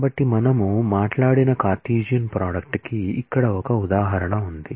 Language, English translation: Telugu, So, here is an example of the Cartesian product that we talked of